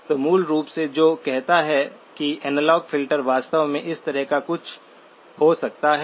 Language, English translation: Hindi, So basically what that says is the analog filter can actually be something of this kind